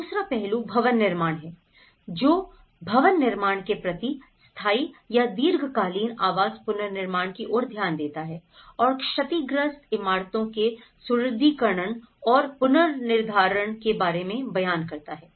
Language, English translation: Hindi, The second aspect is the building construction; in the building construction which looks at the permanent or the long term housing reconstruction and the strengthening and retrofitting of the damaged buildings